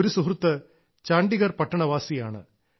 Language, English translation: Malayalam, One of our friends hails from Chandigarh city